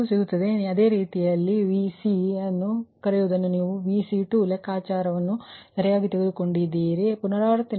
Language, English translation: Kannada, this q two will get and the once you get these in same way, same way you calculate your, that, your what, what you call that ah, ah, vc took a vc two, ah computation, right